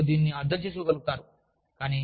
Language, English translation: Telugu, And, you will be able to understand it